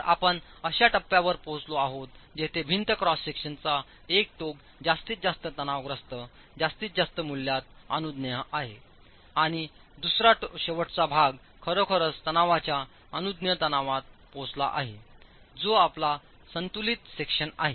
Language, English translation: Marathi, So, you've reached a stage where one end of the wall cross section is in the maximum value of compressive stress permissible and the other end the first bar has actually reached the permissible stress in tension